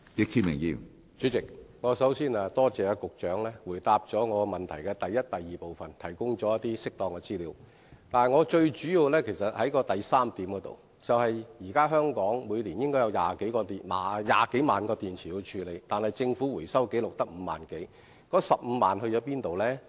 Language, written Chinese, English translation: Cantonese, 主席，首先，我多謝局長回答我主體質詢的第一及二部分，並提供適當資料；但我最主要想問的是第三部分，即香港現時需要處理的電池每年應有20多萬枚，但政府的回收紀錄卻只有5萬多枚，那麼餘下的15萬枚往哪裏去了？, President first of all I thank the Secretary for replying to parts 1 and 2 of my main question and providing information as appropriate . But I mainly wish to ask the question in part 3 and that is while there should be over 200 000 waste car batteries that need to be handled in Hong Kong each year the Governments records showed that only 50 000 - odd are recycled so where are the remaining 150 000 batteries?